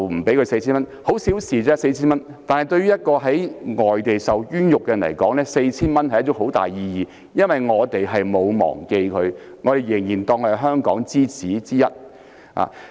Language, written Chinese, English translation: Cantonese, 派發 4,000 元只是小事，但對於在外地受冤獄的人來說意義重大。這表示我們沒有忘記他，仍然把他當作是"香港之子"之一。, The handing out of 4,000 is in itself insignificant but it is very important to a wrongful prisoner overseas as it implies that we have not forgotten him and still consider him a Hongkonger